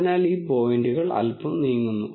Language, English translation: Malayalam, So, these points move a little bit